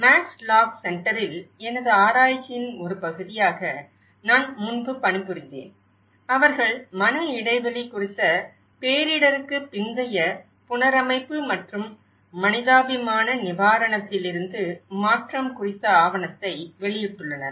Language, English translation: Tamil, Max lock centre, where I worked earlier as part of my research and they have published a document on mind gap; post disaster reconstruction and the transition from humanitarian relief